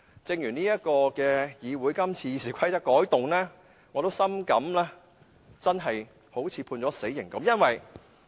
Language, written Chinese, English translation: Cantonese, 正如議會今次修改《議事規則》，我也深感猶如被判死刑。, Similarly as regards making amendments to RoP I also deeply feel like being sentenced to death